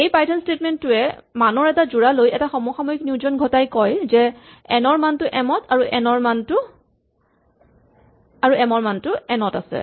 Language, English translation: Assamese, So, what this python statement does is it takes a pair of values and it does a simultaneous assignment so it says that the value of n goes into the value of m and the value of m goes into the value of n